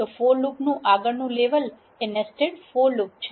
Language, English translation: Gujarati, So, next level of the for loops is a nested for loop